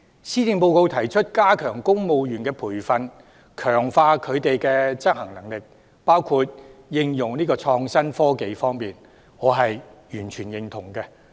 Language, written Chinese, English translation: Cantonese, 施政報告提出加強公務員的培訓，強化他們在應用創新科技等方面的執行能力，我完全認同。, The Policy Address proposes to enhance training for civil servants and boost their implementation capabilities in the use of innovative technology . I totally agree with this initiative